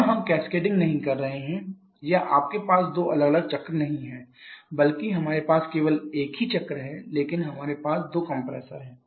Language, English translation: Hindi, Here we are not having cascading or you are not having two different cycles rather we are having just the same cycle but we are having two compressors just look at how the cycle is operating